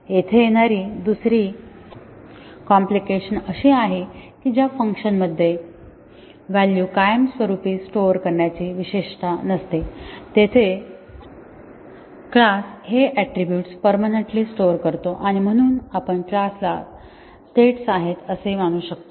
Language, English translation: Marathi, The other complicacy that arises is that unlike functions which do not have attributes permanently storing values, the class attributes store values permanently and therefore, we can consider a class to be having states